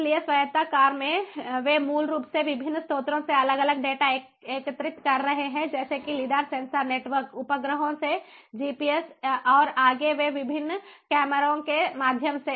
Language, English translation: Hindi, so autonomous cars, you know they basically are collecting different data from different sources through different technologies like lidar, sensor, sensor networks, ah, you know, from satellites, through gps, ah, and different cameras ahead of, you know, in front of them